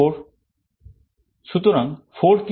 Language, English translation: Bengali, So, what is 4